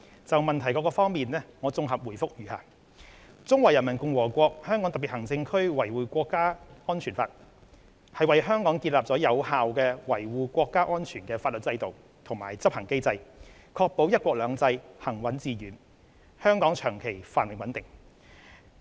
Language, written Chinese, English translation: Cantonese, 就質詢各部分，現綜合答覆如下：《中華人民共和國香港特別行政區維護國家安全法》為香港建立有效維護國家安全的法律制度及執行機制，確保"一國兩制"行穩致遠，香港長期繁榮穩定。, Our consolidated response to the various parts of the question is as follows The Law of the Peoples Republic of China on Safeguarding National Security in the Hong Kong Special Administrative Region establishes an effective legal framework and enforcement mechanism for safeguarding national security in Hong Kong thereby ensuring the smooth and continuous implementation of one country two systems and the long - term prosperity and stability of Hong Kong